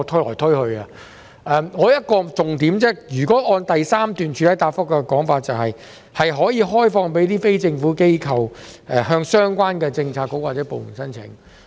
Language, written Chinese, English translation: Cantonese, 我只有一個重點，按照主體答覆第三部分的說法，有關的物業可以開放予非政府機構向相關政策局或部門申請。, I only have one major point . According to part 3 of the main reply the property concerned can be opened up for application by NGOs to the relevant Policy Bureau or department